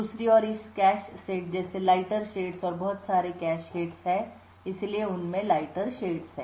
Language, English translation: Hindi, On the other hand the lighter shades like this cache set and so on have incurred a lot of cache hits and therefore are a lighter shade